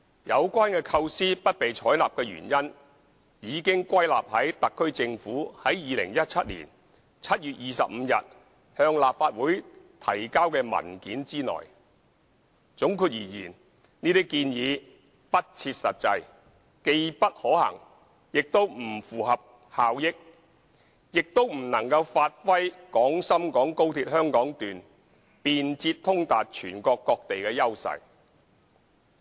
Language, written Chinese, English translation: Cantonese, 有關構思不被採納的原因已歸納於特區政府於2017年7月25日向立法會提交的文件之內，總括而言，這些建議不切實際、既不可行，也不符合效益，亦不能發揮廣深港高鐵香港段便捷通達全國各地的優勢。, The reasons for refusal to adopt the relevant concepts are summarized in the paper submitted by the SAR Government to the Legislative Council on 25 July 2017 . In gist these proposals are not practicable feasible and beneficial; nor will they be able to give play to the advantage of offering convenient and speedy access to various places of the country brought about by the Hong Kong Section of XRL